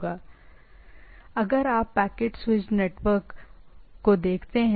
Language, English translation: Hindi, So, like typically if you look at a packet switched network